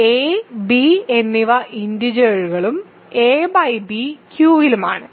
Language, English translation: Malayalam, So, a and b are integers and a by b is in Q